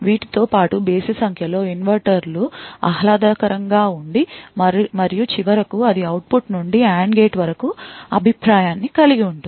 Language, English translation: Telugu, And besides these there are odd number of inverters that are pleasant and finally it has a feedback from the output to the AND gate